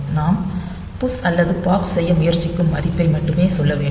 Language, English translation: Tamil, So, we have to just tell the value that we are trying to push or pop